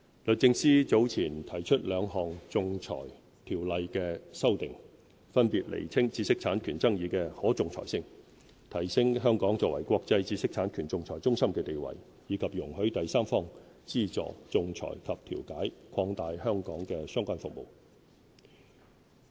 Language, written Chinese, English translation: Cantonese, 律政司早前提出兩項《仲裁條例》的修訂，分別釐清知識產權爭議的可仲裁性，提升香港作為國際知識產權仲裁中心的地位；以及容許第三方資助仲裁及調解，擴大香港的相關服務。, The Department of Justice has earlier proposed two sets of amendments to the Arbitration Ordinance . One seeks to clarify the arbitrability of intellectual property rights IPR disputes to enhance Hong Kongs status as an international IPR arbitration centre . The other seeks to allow third - party funding for arbitration and mediation to widen the scope of relevant services in Hong Kong